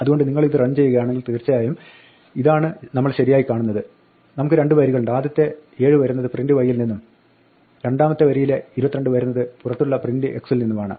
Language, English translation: Malayalam, So, if you run this indeed this is what we see right we have two lines, the first 7 comes from print y and the second level 22 comes from print x outside